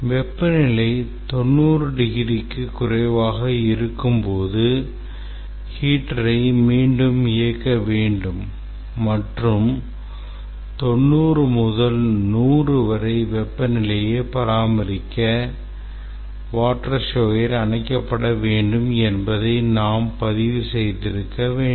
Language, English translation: Tamil, We should have actually recorded that when the temperature is less than 90 degrees, heater should be again turned on and the water shower should be turned off to maintain the temperature between 90 and 100